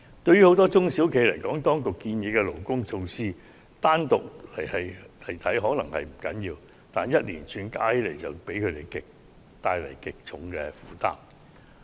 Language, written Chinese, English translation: Cantonese, 對於很多中小型企業來說，當局建議的勞工措施，單獨看來可能並不要緊，但連串措施合併起來卻會為他們帶來極沉重的負擔。, For many small and medium enterprises SMEs the proposed labour measures may not be big deals individually but collectively they will be a heavy burden for SMEs